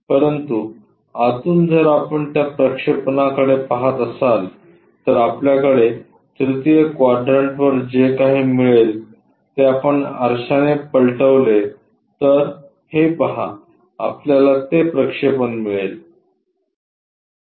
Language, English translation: Marathi, But internally if you are looking that projection whatever we are getting on the 3rd quadrant that mirror, if we flip it see that we will get that projection